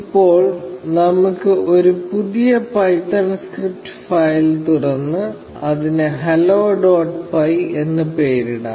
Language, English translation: Malayalam, So, now, let us open a new python script file, and name, and call it, hello dot py